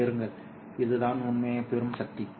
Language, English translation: Tamil, This is the power that you are receiving